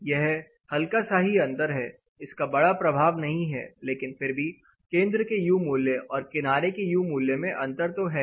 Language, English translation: Hindi, There is the minor difference though it is not huge impact, but still there is an impact between the centers of glass U value to edge of the glass U value